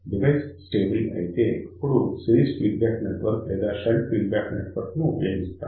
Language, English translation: Telugu, If the device is stable in that particular case we use either series feed network or shunt feed network